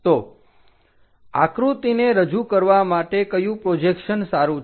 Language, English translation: Gujarati, So, which projection is good to represent a picture